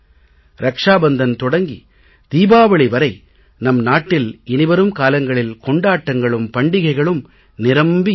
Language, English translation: Tamil, From Raksha Bandhan to Diwali there will be many festivals